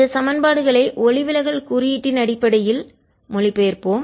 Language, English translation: Tamil, let us translate this equations to equations in terms of the refractive index